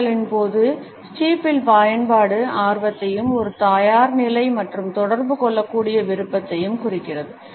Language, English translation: Tamil, The use of steeple during conversation indicates interest as well as a readiness and a willingness to interact